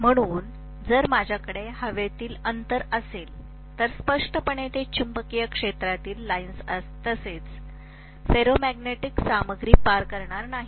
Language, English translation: Marathi, So if I am having the air gap, clearly it is not going to pass the magnetic field lines as well as the ferromagnetic material